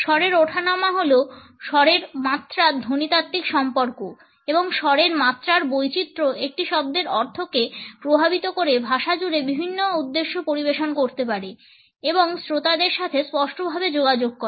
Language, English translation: Bengali, Tone is the phonological correlate of pitch and pitch variation and can serve different purposes across languages affecting the meaning of a word and communicating it clearly to the audience